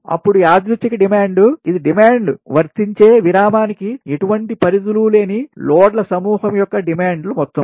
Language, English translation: Telugu, then noncoincident, noncoincident demand, it is the sum of the demands of a group of loads with no restrictions on the interval to which is demand is applicable